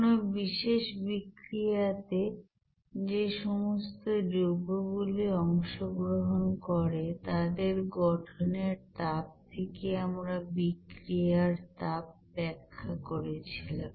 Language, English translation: Bengali, Also, we have described the heat of reaction based on you know heat of formation for the compounds which are taking part in particular reactions